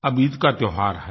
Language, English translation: Hindi, And now the festival of Eid is here